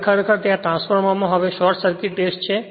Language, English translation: Gujarati, Now, actually in a transformer there now this is the Short Circuit Test